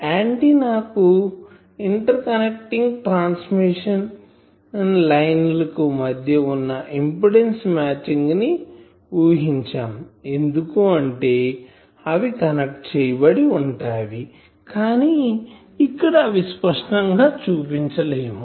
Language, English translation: Telugu, Also we assume that the impedance matching is there between the antenna and the interconnecting transmission line because, here when we are saying that connecting this here we have not explicitly shown